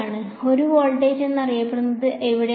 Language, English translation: Malayalam, Where is it, known to be 1 voltage